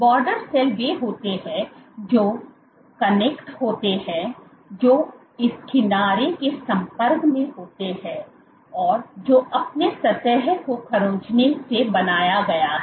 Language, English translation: Hindi, The border cells are those which connect which are in contact with the edge that you have created by scratching the surface